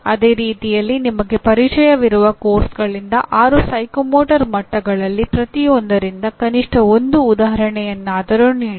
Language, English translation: Kannada, Same way give at least one example from each one of the six psychomotor levels from the courses you are familiar with